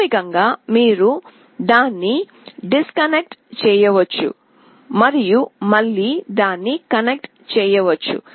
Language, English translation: Telugu, Basically you can disconnect it and then again you can connect it